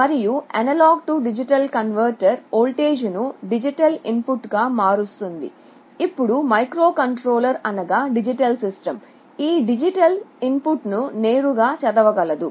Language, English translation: Telugu, And an A/D converter will convert this voltage into a digital input and this microcontroller can read the digital input directly